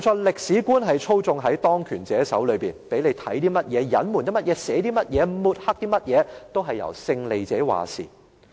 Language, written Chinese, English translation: Cantonese, 歷史觀操縱在當權者手上，勝利者決定讓人看到甚麼、隱瞞甚麼、寫些甚麼或抹黑甚麼等。, The historical perspective is in the hands of those in power and the winners decide what people can see what should be concealed what should be written or what should be discredited